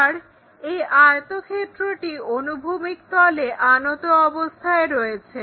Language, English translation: Bengali, And this rectangle is making an angle with horizontal plane